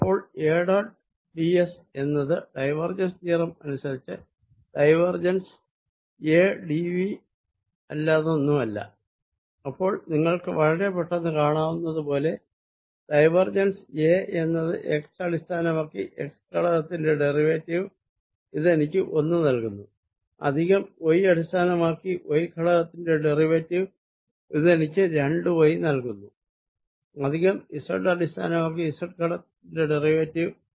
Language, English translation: Malayalam, so a dot d s by divergence theorem is nothing but divergence of a, d, v, and you can immediately see: divergence of a is derivative of x component with respect to x, which gives me one, plus derivative of y with respect to y, which gives me two y plus derivative of z component, z, since that is x, y, it doesn't contribute and i have d, x, d y, d z, d x integral